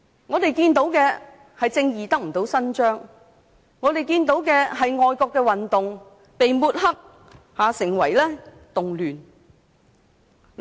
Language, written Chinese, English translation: Cantonese, 我們看到的是正義不獲伸張，我們看到的是愛國運動被抹黑成為動亂。, We see that justice has not been served and that the patriotic movement has been smeared as a disturbance